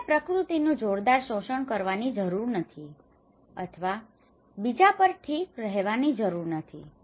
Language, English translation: Gujarati, They do not need to exploit the nature at tremendously or do not need to depend on others okay